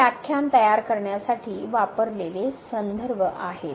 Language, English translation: Marathi, And these are the references used for preparation of this lecture